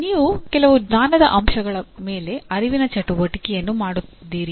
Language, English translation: Kannada, You are doing performing some cognitive activity on some knowledge elements